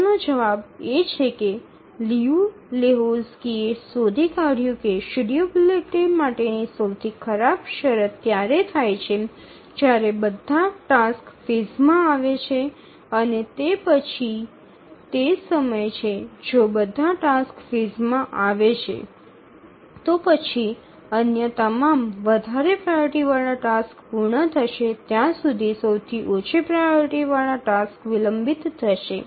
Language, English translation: Gujarati, The answer to that question is that Liu Lehuzki found that the worst case condition for schedulability occurs when all the tasks arrive in phase and that is the time if all tasks arrive in phase then the lowest priority task will get delayed until all other higher priority tasks complete